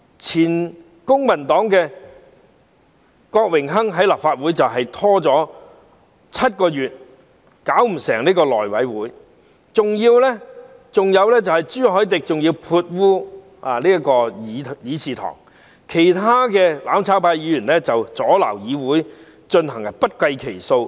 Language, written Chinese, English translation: Cantonese, 前公民黨的郭榮鏗在立法會拖延了7個月，令內務委員會"搞唔成"，還有朱凱廸潑污議事堂，其他"攬炒派"議員阻撓會議進行也不計其數。, Dennis KWOK formerly from the Civic Party stalled in the Legislative Council for seven months causing the functioning of the House Committee to fall through . Also CHU Hoi - dick soiled the Chamber and there were countless incidences of other Members of the mutual destruction camp obstructing the proceedings of the meetings